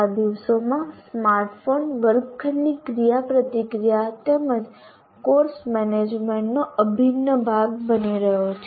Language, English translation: Gujarati, These days the smartphone also is becoming an integral part of classroom interaction as well as course management